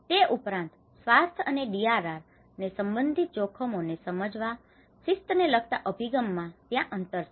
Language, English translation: Gujarati, Also, there is a disciplinary orientation gaps in undertaking risk in understanding risks related to health and DRR